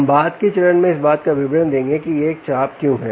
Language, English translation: Hindi, right, we will come to the details of why it is an arc at a later stage